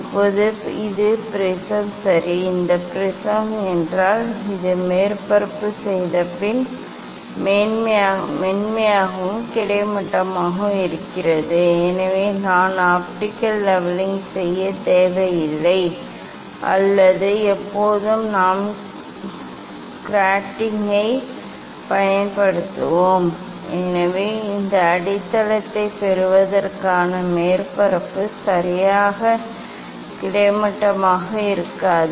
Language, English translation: Tamil, Now, this is the prism ok, if this prism, this surface is perfectly, smooth and horizontal so then I do not need to do the optical leveling or when we will use the grating so grating surface getting this base may not be perfectly horizontal